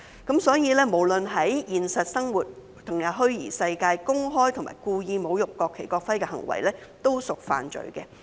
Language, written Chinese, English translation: Cantonese, 因此，不論是在現實生活還是虛擬世界中公開及故意侮辱國旗及國徽的行為，均屬犯罪。, In effect public and intentional desecrating acts in relation to the national flag and national emblem committed in both real life and the virtual world would be an offence . Currently the level of penalty ie